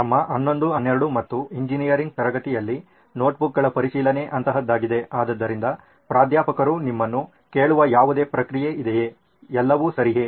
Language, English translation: Kannada, In our 11th ,12th and engineering class there would be a verification of notebooks something like that, so is there any process where Professors ask you, is everything right